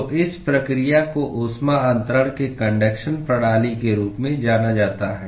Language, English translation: Hindi, So, this process is what is referred to as conduction mode of heat transfer